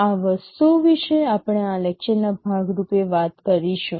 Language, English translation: Gujarati, These are the things that we shall be talking as part of this lecture